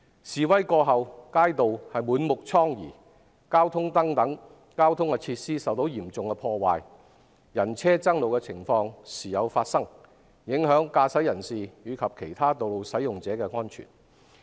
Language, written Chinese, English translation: Cantonese, 示威過後，街道滿目瘡痍，交通燈等設施受到嚴重破壞，人車爭路的情況時有發生，影響駕駛人士及其他道路使用者的安全。, After the demonstrations the streets were full of ravages traffic lights and other facilities were severely damaged and people and vehicles competed for roads from time to time affecting the safety of drivers and other road users